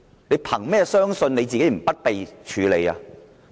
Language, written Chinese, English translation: Cantonese, 你憑甚麼相信自己不會被處理呢？, How can you be sure that you will not be treated the same way?